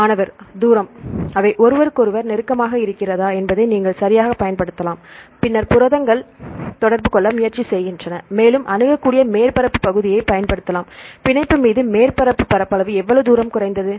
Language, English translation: Tamil, You can use the distance right whether they are close to each other, then the proteins try to interact and you can use the accessible surface area, right how far the surface area reduced upon binding